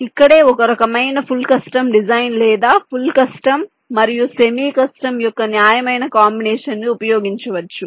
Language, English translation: Telugu, it is here where some kind of full custom design or some judicious combination of full custom and same custom can be used